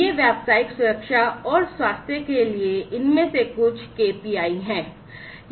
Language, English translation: Hindi, So, these are some of these KPIs for occupational safety and health